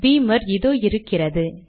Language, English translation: Tamil, Lets go to Beamer, its here